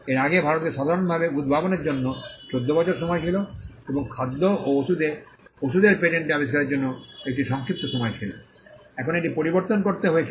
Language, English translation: Bengali, India earlier had a 14 year period for inventions in general and a shorter period for patents inventions pertaining to food drug and medicine